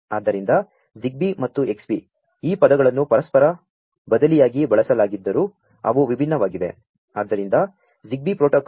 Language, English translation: Kannada, So, ZigBee and Xbee, although these terms are used interchangeably, but they are different